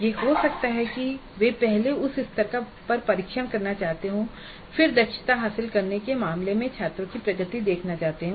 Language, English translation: Hindi, It could be that they would like to first test at that level and see what is the progress of the students in terms of acquiring competencies stated